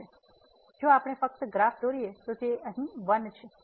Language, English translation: Gujarati, So, if we just draw the graph so, here it is 1